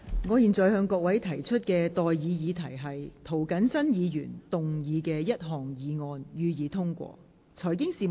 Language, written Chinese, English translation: Cantonese, 我現在向各位提出的待議議題是：涂謹申議員動議的第一項議案，予以通過。, I now propose the question to you and that is That the first motion moved by Mr James TO be passed